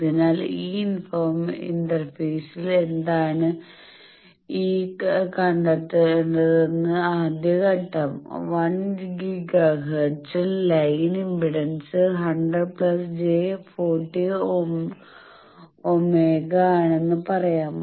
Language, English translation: Malayalam, So, first step is what is that given that at this interface I am finding that line impedance is 100 plus j 40 ohm at 1 giga hertz let us say frequency